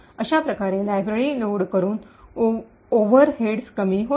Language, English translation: Marathi, Thus, the overheads by loading the library is reduced considerably